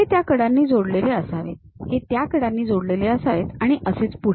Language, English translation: Marathi, These supposed to be connected by those edges, these connected by that edges and further